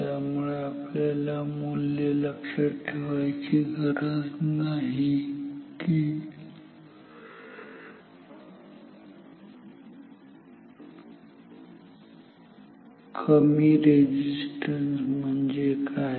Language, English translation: Marathi, So, need not remember the values like what is called low resistance